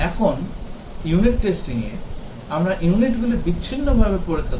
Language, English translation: Bengali, Now, in unit testing, we test the units in isolation